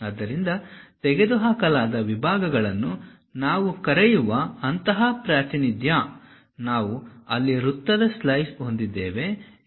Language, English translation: Kannada, So, such kind of representation what we call removed sections; it is not that we have a slice of circle there